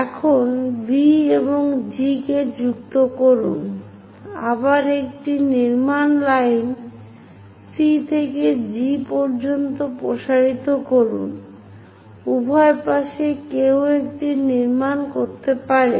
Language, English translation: Bengali, Now, join V and G, a construction line again from C all the way to G extend it, on both sides one can construct it